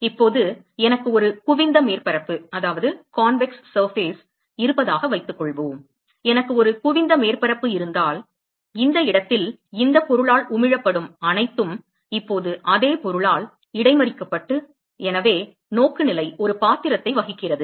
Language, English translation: Tamil, Now so supposing I have a convex surface, supposing if I have a convex surface then whatever is emitted by this object in this location is now going to be intercepted by the same object, so the orientation plays a role